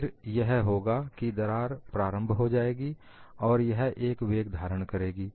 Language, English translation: Hindi, So what would happen is the crack would initiate, and it would acquire the velocity